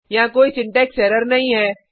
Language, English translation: Hindi, This tells us that there is no syntax error